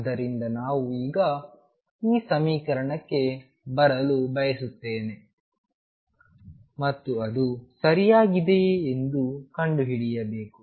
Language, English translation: Kannada, So, we will want to now kind of arrive at this equation and discover whether it is right or what